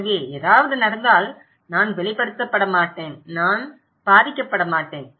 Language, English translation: Tamil, So, if something happened, I will not be exposed, I will not be impacted okay